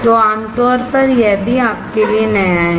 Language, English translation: Hindi, So, commonly this is also new you